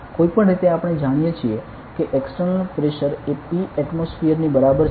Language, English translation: Gujarati, Anyway, we know that there is an external pressure equivalent to P atmosphere